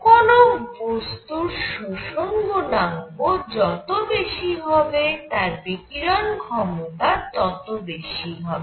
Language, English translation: Bengali, So, higher the absorption coefficient of a body, larger will be its emissive power